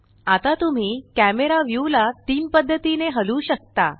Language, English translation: Marathi, Now you can move the camera view in three ways